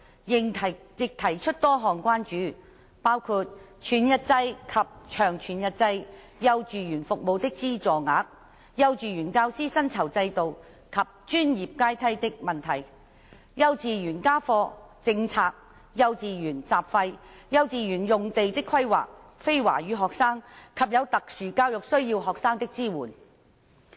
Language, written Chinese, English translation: Cantonese, 委員亦提出多項關注，包括全日制及長全日制幼稚園服務的資助額、幼稚園教師薪酬制度及專業階梯的問題、幼稚園家課政策、幼稚園雜費、幼稚園用地的規劃、非華語學生及有特殊教育需要學生的支援。, Members also raised a number of concerns including subsidies for whole - day and long whole - day kindergarten services the remuneration system and professional ladder of kindergarten teachers homework policies of kindergartens miscellaneous fees collected by kindergartens site planning for kindergartens and support for non - Chinese speaking students and students with special education needs